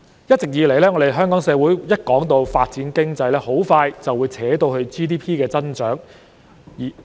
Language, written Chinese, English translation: Cantonese, 一直以來，香港社會每次談到發展經濟，便會很快扯到 GDP 增長方面。, Hong Kong society has always associated economic development with growth in Gross Domestic Product GDP whenever the former is touched upon